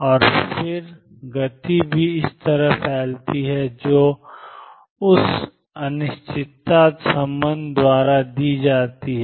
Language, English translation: Hindi, And then the momentum also gets a spread correspondingly and which is given by this uncertainty relationship